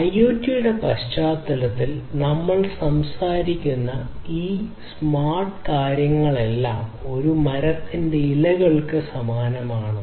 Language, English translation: Malayalam, All these smart things that we talk about in the context of IoT; these smart applications, they are analogous to the leaves of a tree